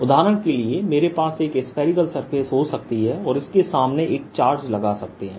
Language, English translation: Hindi, for example, i could have a spherical surface and put a charge in front of it